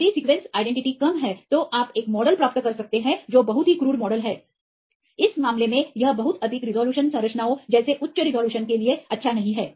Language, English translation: Hindi, If the sequence identity is less you can get a model which is very crude model, in this case it is not good for the very high resolution like high resolution structures